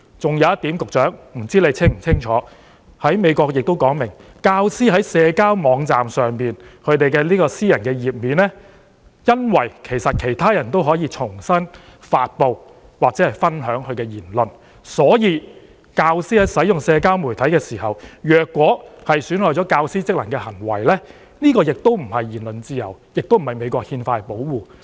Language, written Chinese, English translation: Cantonese, 還有一點，我不知道局長是否清楚知道，美國亦訂明，由於教師在社交媒體的私人網頁上的言論有機會被其他人轉發或分享，所以教師在使用社交媒體時，如果出現損害教師職能的行為，便不能享有言論自由，亦不受美國憲法保護......, Another point is I wonder if the Secretary is clearly aware that the United States has also stipulated that since teachers comments on private websites on social media may be forwarded or shared by other people if a teacher commits an act that impairs the functions of teachers when using the social media heshe will neither be entitled to freedom of speech nor be protected by the Constitution of the United States